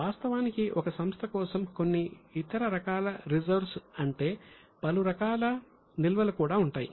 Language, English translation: Telugu, Actually, for a company there are some other types of reserves also